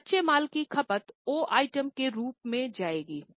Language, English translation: Hindi, So, consumption of raw materials will go as a O item